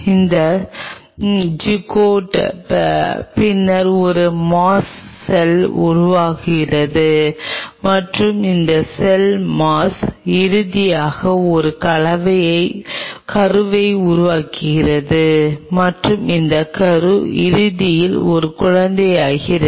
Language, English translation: Tamil, this zygote then form a mass of cell and this mass of cell eventually form an embryo and this embryo eventually becomes a baby